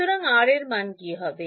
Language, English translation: Bengali, So, what will that value of R be